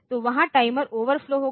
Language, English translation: Hindi, So, there will be the timer will overflow